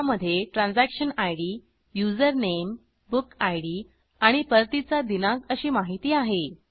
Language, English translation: Marathi, It has details like Transaction Id, User Name, Book Id and Return Date